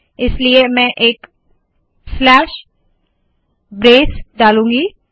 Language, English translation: Hindi, So I put a slash brace